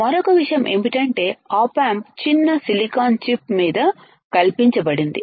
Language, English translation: Telugu, Then what is another thing, the op amp is fabricated on tiny silicon chip we have seen that right